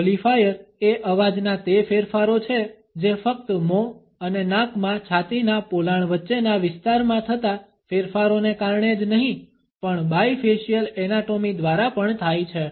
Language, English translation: Gujarati, Qualifiers are those modifications of the voice which are caused not only by the changes in the area between the thoracic cavity in the mouth and nose but also bifacial anatomy